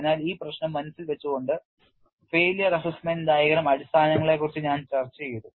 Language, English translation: Malayalam, So, keeping this issue in mind only I have discuss rudiments of failure assessment diagram and that is also summarized here